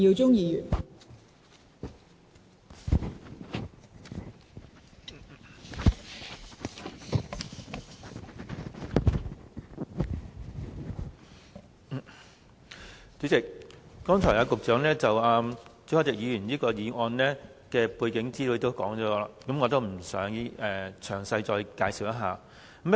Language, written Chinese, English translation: Cantonese, 代理主席，局長剛才指出朱凱廸議員議案的背景資料，我不再詳細介紹。, Deputy President with regard to Mr CHU Hoi - dicks motion the Secretary for Transport and Housing has just mentioned some background information so I will not give a lengthy introduction